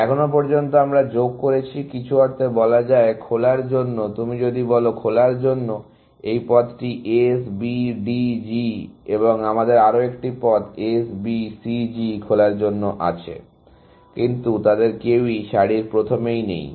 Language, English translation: Bengali, we have added, in some sense to open, if you want to say; this path S, B, D, G to open, and we also have another path S, B, C, G to open, but none of them is at the head of the queue